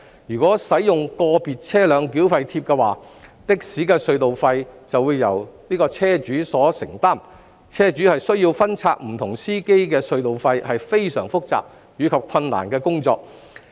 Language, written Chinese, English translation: Cantonese, 如果使用"個別車輛繳費貼"的話，的士的隧道費則會全由車主承擔，車主需要分拆不同司機的隧道費是非常複雜及困難的工作。, If a VTT is used the tunnel tolls payable by a taxi will all be borne by the vehicle owner and he will need to do the very complicated and difficult job of splitting the tunnel tolls among different drivers